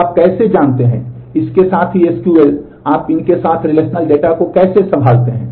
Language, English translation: Hindi, So, how do you, along with this know SQL, how do you handle the relational data with these